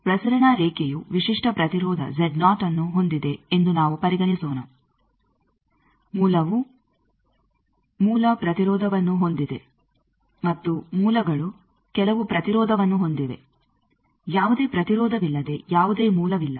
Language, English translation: Kannada, Let us consider the transmission line is having a characteristic impedance of Z 0 the source is having a source impedance also sources have some impedance there is no source without any impedance